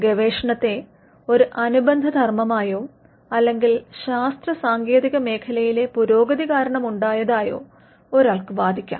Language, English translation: Malayalam, Research one can argue, came up as a subsidiary function or as a thing that came up because of the advancements in science and technology